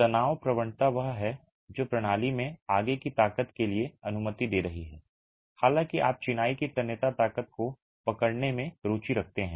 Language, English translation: Hindi, So, the stress gradient is what is allowing for a further strength in the system, though you are interested in capturing what is the tensile strength of masonry